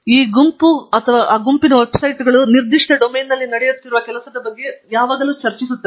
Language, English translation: Kannada, These groups or these group websites will basically discuss about ongoing work in that particular domain